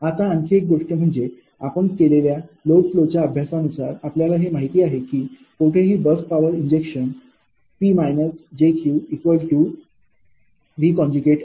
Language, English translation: Marathi, now another thing is from the load flow studies you have studied, know that ah anywhere, that any bus power injection, p minus jq is equal to v conjugate i